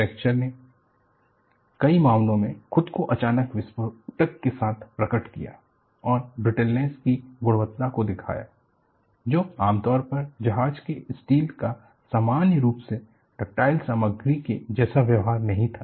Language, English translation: Hindi, The fractures, in many cases, manifested themselves with explosive suddenness and exhibited the quality of brittleness, which was not ordinarily associated with the behavior of a normally ductile material, such as ship steel’